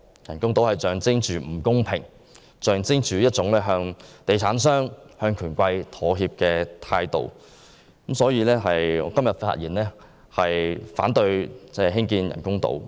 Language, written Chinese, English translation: Cantonese, 人工島象徵着不公平，象徵着向地產商和權貴妥協的態度，所以我發言反對興建人工島。, The artificial islands project symbolizes unfairness and the attitude of kowtowing to property developers and the bigwigs